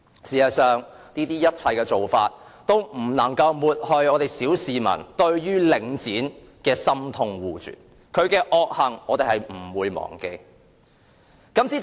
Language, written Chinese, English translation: Cantonese, 事實上，這種種做法均不能抹去小市民對領展的深痛惡絕，我們不會忘記其惡行。, In fact such practices can hardly remove the deep grievance the public harbour against Link REIT . We will not forget its wicked deeds